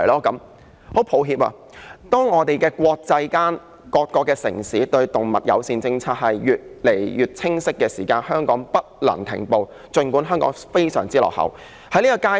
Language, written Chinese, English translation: Cantonese, 很抱歉，國際間、各個城市的動物友善政策也越來越清晰，儘管香港在這方面非常落後，但也不能停步。, Sorry the international community as well as various cities are getting increasingly clear about their stand of having an animal - friendly policy . Hong Kong is very backward in this regard but it should not stop progressing forward